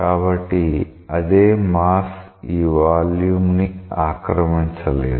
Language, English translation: Telugu, So, the same mass now cannot occupy this volume